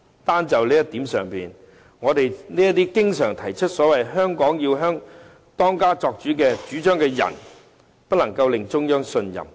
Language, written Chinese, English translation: Cantonese, 單在這一點上，那些經常主張"香港要當家作主"的人便不能令中央信任。, Simply taking this into account as we may readily know those who always advocate that Hong Kong should be the master will not be trusted by the Central Authorities